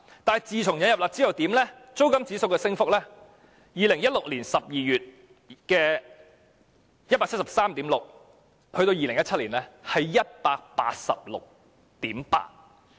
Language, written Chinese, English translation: Cantonese, 但是，自引入"辣招"後，租金指數由2016年12月的 173.6 上升至2017年的 186.8。, After the introduction of the curb measures however the rental index rose from 173.6 in December 2016 to 186.8 in 2017